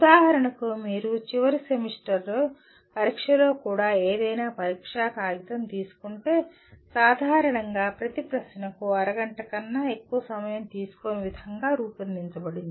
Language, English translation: Telugu, For example if you take any examination paper even in the end semester examination, you normally, it is designed in such a way no question should take more than half an hour